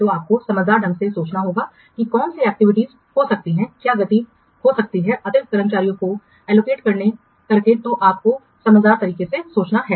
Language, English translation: Hindi, So you have to judiciously think which activities can be what speeded up, can be speeded up by allocating additional staffs that you have to think judiciously